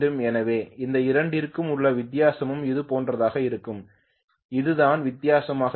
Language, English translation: Tamil, So the difference between these two will be something like this right, this is what is going to be the difference